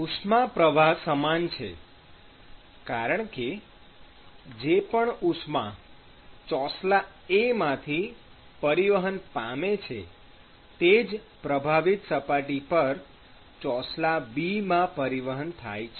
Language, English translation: Gujarati, Heat flux is same, because whatever heat that is being transported from slab A is being transported to slab 2 at that interface